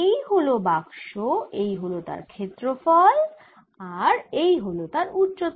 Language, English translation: Bengali, this is the box, this is the area and this is the height